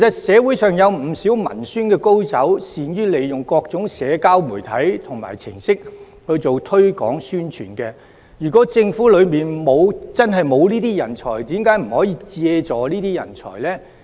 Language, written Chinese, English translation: Cantonese, 社會上其實有不少文宣高手，善於利用各種社交媒體和程式做推廣宣傳，如果政府內部真的沒有這樣的人才，為何不可以借助這些人才呢？, Actually there are many outstanding propaganda experts in society . They are good at using different social media and application programmes for publicity and promotion . If there is really no such talent inside the Government why does the Government not seek help from these talents in society?